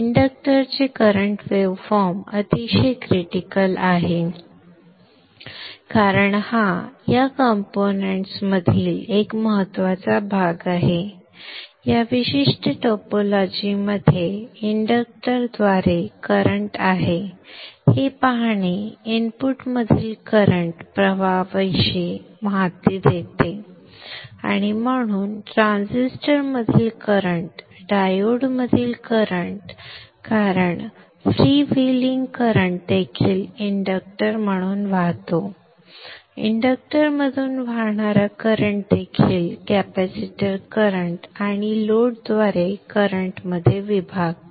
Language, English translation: Marathi, The current waveform of the inductor is very critical because this is an important part in this component in this particular topology see that this current through the inductor gives information about the current flowing in the input and therefore the current flow in the transistor the current flowing in the diode because the free vely current also flows through the inductor the current flow into the inductor also divides into the capacitor current through the load as we have discussed earlier the current through the capacitor will have a zero average value in steady state and the current through the output load will be a pure DC